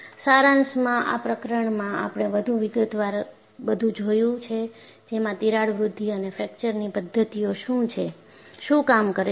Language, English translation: Gujarati, So, in essence, in this chapter, we have looked at in greater detail, what are crack growth and fracture mechanisms